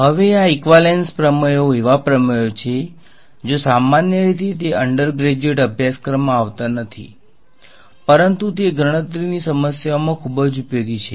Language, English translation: Gujarati, Now, this equivalence theorems are theorems where usually they are not encountered in undergraduate course, but they are very useful in computational problems